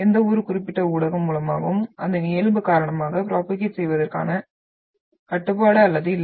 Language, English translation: Tamil, It is not having the restriction of propagating through any particular medium because of its nature